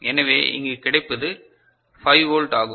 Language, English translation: Tamil, So, what you get here it is 5 volt right